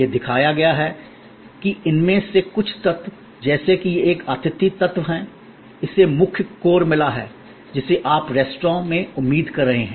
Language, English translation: Hindi, It has shown that some of these elements like it is a hospitality element, it has got the main core that you are expecting in the restaurant